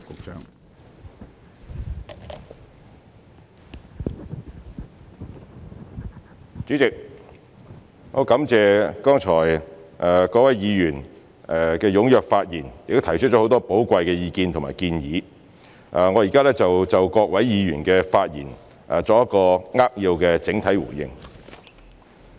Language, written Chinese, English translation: Cantonese, 主席，我感謝剛才各位議員踴躍發言，並提出很多寶貴意見和建議，我現在就各位議員的發言作扼要的整體回應。, President I thank Members for giving speeches eagerly and for providing lots of valuable opinions and suggestions just now . I will give an overall reply to their speeches in brief